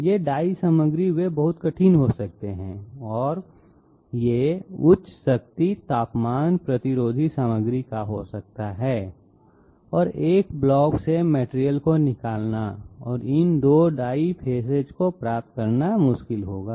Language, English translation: Hindi, These die materials of they can be very hard and it can be the of high strength temperature resistant material and it will be difficult to remove material from a block and update these 2 die faces